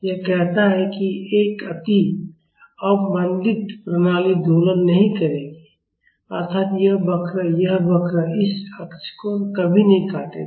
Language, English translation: Hindi, It says that an over damped system will not oscillate; that means, this curve this curve will never cross this x axis